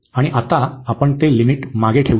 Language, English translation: Marathi, And now we can put that limit back